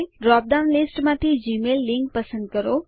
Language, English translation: Gujarati, Choose the gmail link from the drop down list